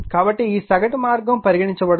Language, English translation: Telugu, So this, mean path will take